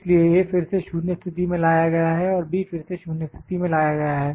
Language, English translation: Hindi, So, A is again brought to 0 position and B is again brought to 0 position